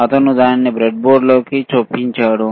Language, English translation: Telugu, he is inserting it into the breadboard